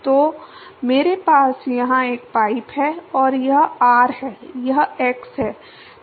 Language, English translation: Hindi, So, I have a pipe here and this is r, this is x